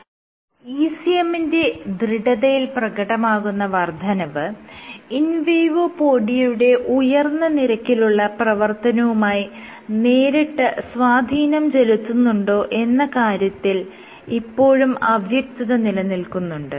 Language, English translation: Malayalam, So, it remains unclear whether this increase in stiffness, you have increase in ECM stiffness, and this is correlated with increased in invadopodia activity